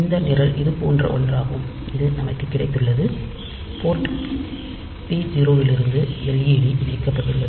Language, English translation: Tamil, So, ideally this program is something like this that we have got this port p 0 from which we have got this led is connected